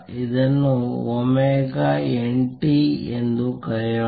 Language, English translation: Kannada, Let us call it omega n t